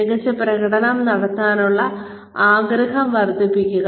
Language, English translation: Malayalam, Maximizing the desire to perform well